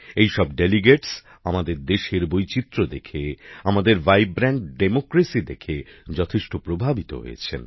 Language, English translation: Bengali, These delegates were very impressed, seeing the diversity of our country and our vibrant democracy